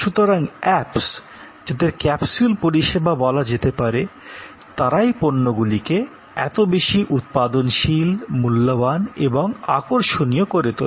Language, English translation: Bengali, So, the apps, which are capsule services make those products, so much more productive valuable attractive